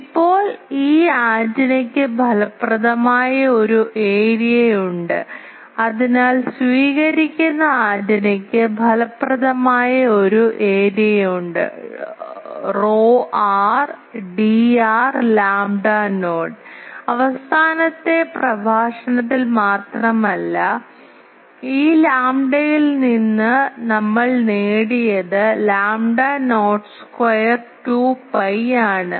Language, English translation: Malayalam, Now, this antenna has an effective area, so the receiving antenna has an effective area that is rho r D r lambda not just in the last lecture we have derived this lambda not square 2 pi